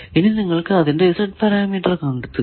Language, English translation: Malayalam, So, you know this is S parameter